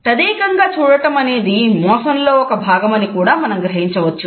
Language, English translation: Telugu, Sometimes we would find that a staring can also be a part of deception